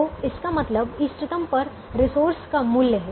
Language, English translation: Hindi, so it it means the worth of the resource at the optimum